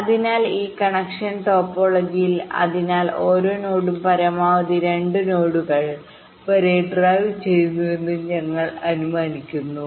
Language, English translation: Malayalam, so in this connection topology, so one thing, we are assuming that every node is driving up to maximum two other nodes